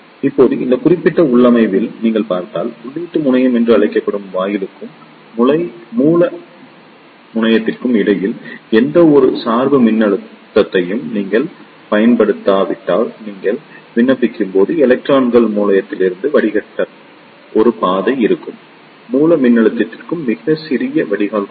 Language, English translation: Tamil, Now, if you see in this particular configuration, if you do not apply any bias voltage between the gate and the source terminal which is known as the input terminal, then there will be a path for electrons to flow from source to drain when you apply even a very small drain to source voltage